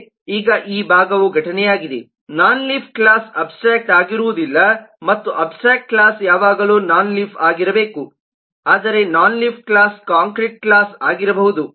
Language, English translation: Kannada, now this part is incident in non leaf class is not necessarily abstract, and abstract class will always have to be non leaf, but a non leaf class may also be a concrete class, that is we will explain later on